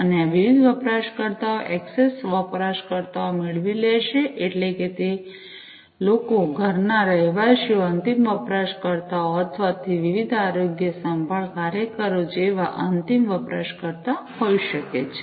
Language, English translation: Gujarati, And these users can get access users means it could be the end users like, you know, the people you know the residents of the home end users or, it could be the different you know health care workers, right